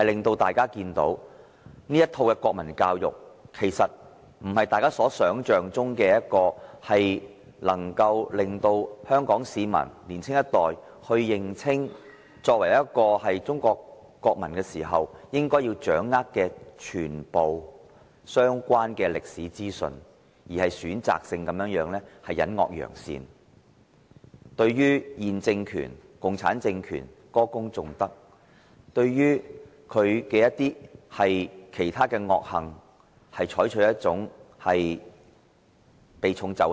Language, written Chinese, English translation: Cantonese, 大家看到這套國民教育並非大家想象般要令香港市民、年青一代，認清作為中國國民應要掌握的全部相關歷史資訊，而是選擇性地隱惡揚善，對現政權共產政權歌功頌德，對其他惡行則避重就輕。, The public perceived that the set of national education to be introduced did not aim at facilitating Hong Kong citizens and the younger generation in grasping all the historic information a Chinese citizen should know as they expected but was a selective approach of promoting good deeds and covering up the bad ones seeking to heap praises on the ruling regime and the Communist Party of China and gloss over their wicked deeds